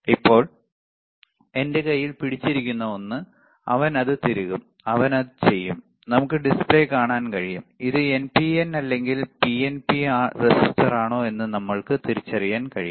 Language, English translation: Malayalam, Now, the one that I am holding in my hand, he will insert it and he will and we can see the display, and we can we can identify whether this is NPN or PNP transistor